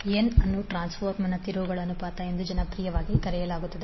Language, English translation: Kannada, n is popularly known as the terms ratio of the transformer